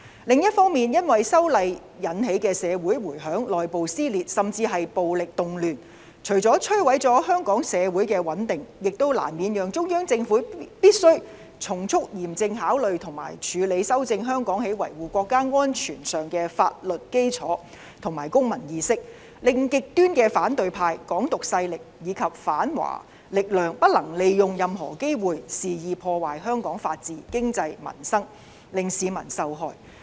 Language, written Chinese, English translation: Cantonese, 另一方面，因為修例引起的社會迴響，內部撕裂，甚至是暴力動亂，除了摧毀了香港社會的穩定，也難免讓中央政府必須從速嚴正考慮和處理修正香港在維護國家安全上的法律基礎和公民意識，令極端的反對派、"港獨"勢力及反華力量不能利用任何機會，肆意破壞香港的法治、經濟和民生，令市民受害。, On the other hand the wide repercussions in society internal rifts and even the violent riots as a result of the proposed amendments to the anti - extradition legislation had destroyed the social stability in Hong Kong it was inevitably for the Central Government to seriously consider rectifying the legal foundations and civic awareness in respect of safeguarding our national security so as to prevent the opposition camp Hong Kong independence elements and anti - China powers from taking the opportunity to undermine Hong Kongs rule of law economy and livelihood of the people and thereby victimizing the general public